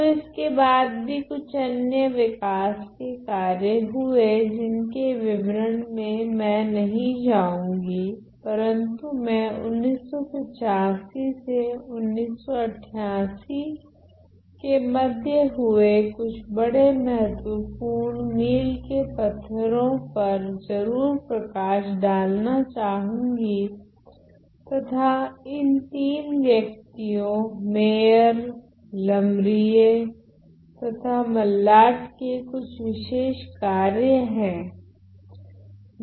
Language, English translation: Hindi, So, then there were several other developments which I am not going to go into great details, but I am going to highlight some of the major the major milestones between 85 to 88 there were certain work by these three people Meyer and Lamarie